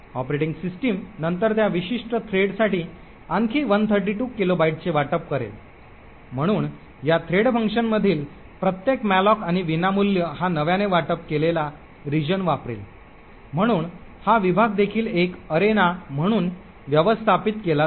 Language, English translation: Marathi, The operating system would then allocate another 132 kilobytes for that particular thread, so every malloc and free in this thread function will use this newly allocated region right, so this region is also managed as an arena